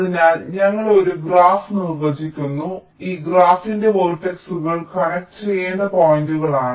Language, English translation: Malayalam, so we define a graph where the vertices of a graph of this graph are the points that need to be connected